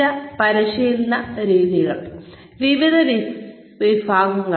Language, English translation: Malayalam, So, various types of training methods